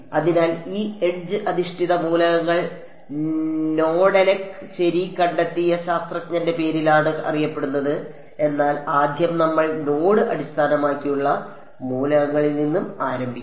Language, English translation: Malayalam, So, this edge based elements also are they are named after the scientist who discovered it Nedelec ok, but first we will start with node based elements